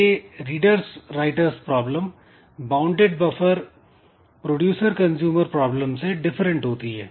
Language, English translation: Hindi, So, it's a different, it's different from the producer, bounded buffer producer consumer problem